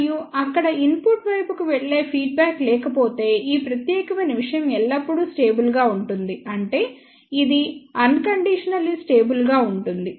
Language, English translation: Telugu, And if there is a no feedback going to the input side, this particular thing will remain always stable; that means, it is unconditionally stable